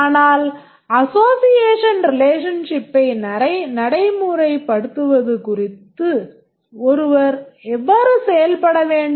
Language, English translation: Tamil, But how does one go about implementing the association relationship